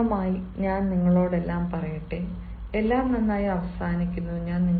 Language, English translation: Malayalam, ultimately, let me tell you all: all is well that ends well